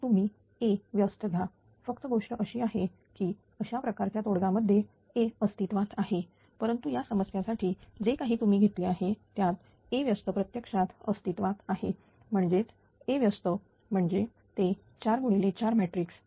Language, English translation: Marathi, So, you can take the A inverse only thing is that for this kind of solution that A inverse must exist, but for this problem whatever you have taken that A inverse actually exists so; that means, A inverse means it will be a 4 into 4 matrix, right